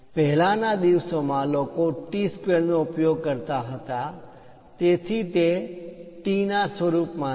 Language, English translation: Gujarati, Earlier days, people used to go with T squares, so it is in the form of T